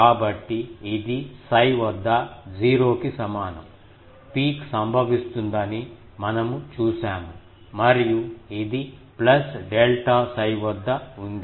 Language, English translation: Telugu, So, this is at psi is equal to 0 we have seen the peak occurs and the this one is at plus delta psi